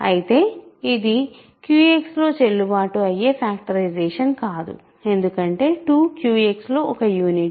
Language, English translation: Telugu, Whereas, this is not a valid factorization in Q X because 2 is a unit in Q X